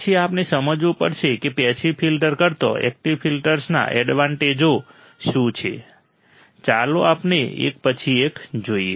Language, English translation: Gujarati, Then we have to understand what are the advantages of active filters over passive filters, what are advantages, let us see one by one